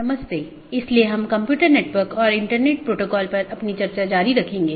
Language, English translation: Hindi, So, we will be continuing our discussion on Computer Networks and Internet Protocol